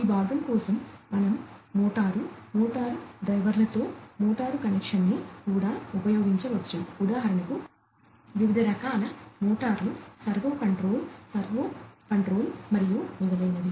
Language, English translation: Telugu, For this part, we could even use motors connection with motors, motor drivers then different other for example, different types of motors maybe you know servo control servo control and so on